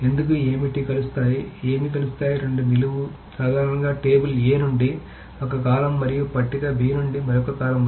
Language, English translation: Telugu, What joins are generally on two columns, one column from table A and another column from table B